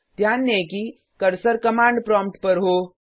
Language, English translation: Hindi, Notice that the cursor is on the command prompt